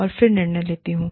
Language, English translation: Hindi, And then, decide